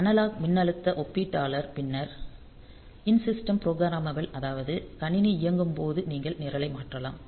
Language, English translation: Tamil, So, then the analog comparator so analog voltage comparator then the in system programmable that is when the system is operating so can you change the program